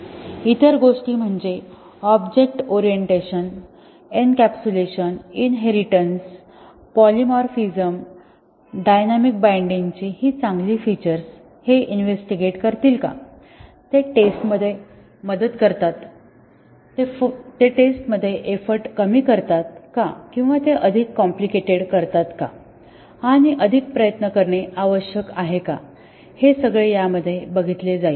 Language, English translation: Marathi, The other things is that the good features of object orientation, encapsulation, inheritance, polymorphism, dynamic binding will investigate, do they help in testing, do they reduce the effort in testing or do they make it more complicated and need to spend more effort in testing